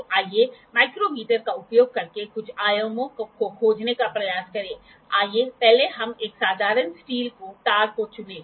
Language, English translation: Hindi, So, let us try to find a few dimensions using micrometer, let us first pick a simple wire steel wire